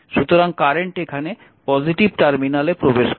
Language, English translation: Bengali, So, this is ah this current is entering because positive terminal